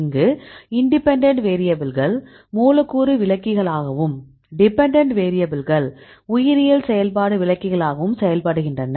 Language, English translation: Tamil, So, here we have the independent variable as molecular descriptors and the dependent variable this is the biological activity